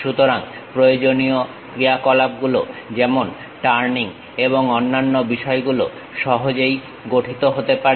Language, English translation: Bengali, So, required operations like turning and other things can be easily formed